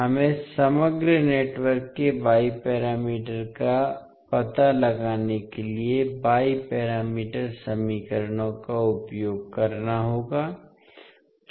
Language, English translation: Hindi, We have to use the Y parameters equations to find out the Y parameters of overall network